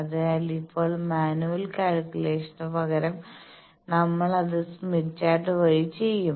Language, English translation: Malayalam, So, now, instead of manual calculations we will do it by Smith Chart